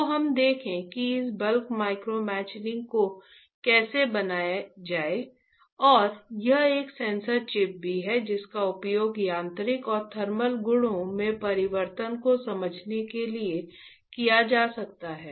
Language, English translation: Hindi, So, we will see how to create this bulk micromachining, and this is also a sensor chip that can be used to understand the change in the mechanical and thermal properties